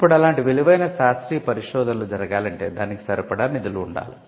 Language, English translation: Telugu, Now, for valuable research to happen, there has to be funding in scientific research